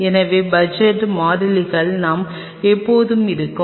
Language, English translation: Tamil, So, budgetary constants we will always be there